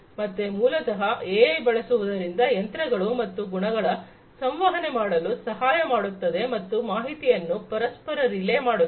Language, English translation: Kannada, So, basically, you know, use of AI helps the machines and equipments to communicate and relay information with one another